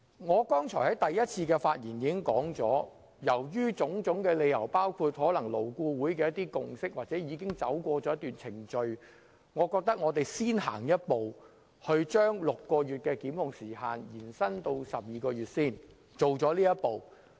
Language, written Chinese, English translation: Cantonese, 我剛才在第一次發言時已表示基於種種理由，包括勞顧會所達成的共識或根據一些既定程序，我認為我們應先走這一步，把檢控時限由6個月延長至12個月。, When I spoke for the first time earlier on I already expressed my view that we should take this step first extending the time limit for prosecution from 6 months to 12 months due to various reasons including the consensus reached by LAB or according to some established procedures